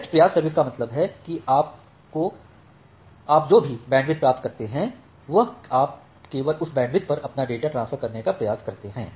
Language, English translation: Hindi, So, best effort service means that whatever bandwidth you get you try to transfer your data over that bandwidth only